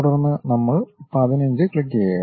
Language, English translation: Malayalam, Then we click 15